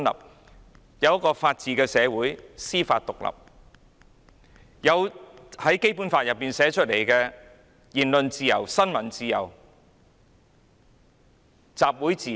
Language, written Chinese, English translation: Cantonese, 香港也是一個法治社會，司法獨立，並享有《基本法》訂明的言論自由、新聞自由、集會自由。, Hong Kong is a place under the rule of law with an independent judiciary and people have freedom of speech of the press and of assembly as stipulated in the Basic Law